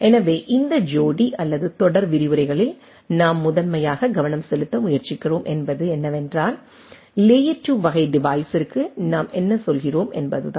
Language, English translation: Tamil, So, what we are trying to primarily focus on this couple of or series of lectures is that what are the different things what we go to the layer 2 type of device